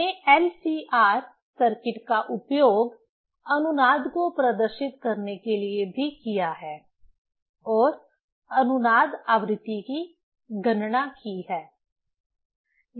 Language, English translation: Hindi, Also we have used LCR circuit to demonstrate the resonance and calculated the resonance frequency